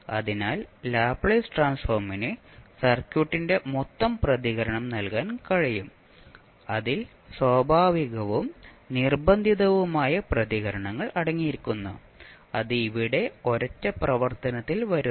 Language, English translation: Malayalam, So Laplace transform is capable of providing us the total response of the circuit, which comprising of both the natural as well as forced responses and that comes in one single operation